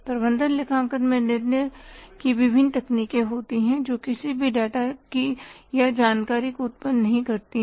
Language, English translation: Hindi, Management accounting has different techniques of decision making not of generating any data or information